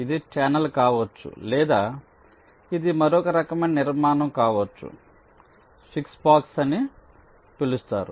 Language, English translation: Telugu, it can be a channel or, we shall see, it can be another kind of a structure called a switch box